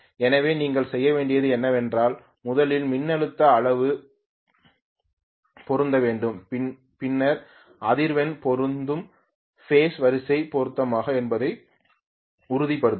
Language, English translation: Tamil, So what you have to do is to first voltage magnitude have to be matched then the frequency will be matched make sure the phase sequence is matched